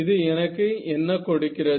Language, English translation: Tamil, So, what does that give me it gives me